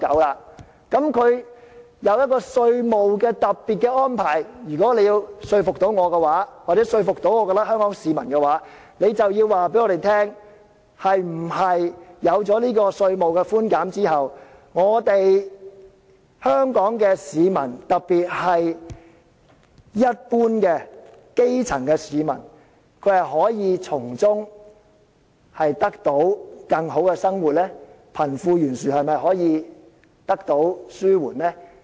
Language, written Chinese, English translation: Cantonese, 政府推出這個稅務特別安排，如果你要說服我或者香港市民的話，你便要告訴我們，是否有了這個稅務寬減後，香港市民，特別是一般基層市民，可以從中得到更好的生活，貧富懸殊是否可以得到紓緩呢？, If the Government wants to convince me or the people of Hong Kong when launching this special tax arrangement it must tell us whether this concession allows the Hong Kong people especially the common grass - roots citizens to live better and suffer less from the wealth gap